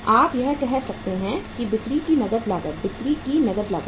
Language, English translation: Hindi, You can say cash cost of sales, cash cost of sales